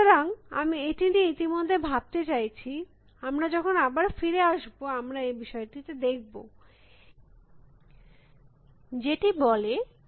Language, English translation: Bengali, So, I wanted to think about this in the mean while and when we come back, we want to look at this, what is the second problem in this state and try to address that